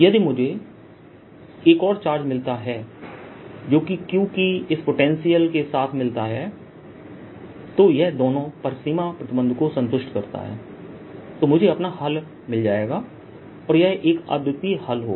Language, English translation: Hindi, if i can find another charge that satisfies that combine with this potential of q, satisfies both the boundary conditions, then i have found my solution because that's a unique answer